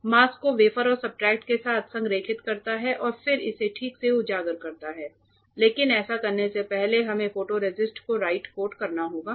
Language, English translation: Hindi, It aligns the mask along with the wafer or the substrate and then exposes it ok, but before we do that we have to spin coat the photoresist right